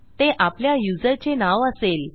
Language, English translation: Marathi, This should be username